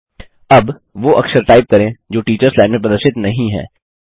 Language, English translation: Hindi, Now lets type a character that is not displayed in the teachers line